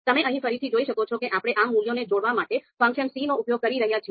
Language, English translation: Gujarati, So you can see here again we are using the same function c and to combine these values